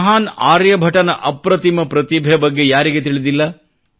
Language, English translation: Kannada, Who doesn't know about the prodigious talent of the great Aryabhatta